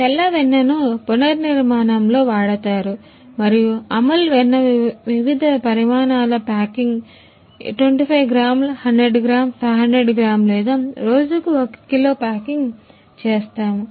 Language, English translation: Telugu, White butter for reconstitution in reseason and Amul butter various size packing 25 gram 100 gram 500 gram or 1 kg packing per day